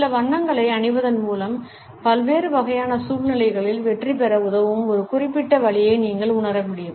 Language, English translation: Tamil, By wearing certain colors you can make people feel a certain way which could help you succeed in a variety of different situations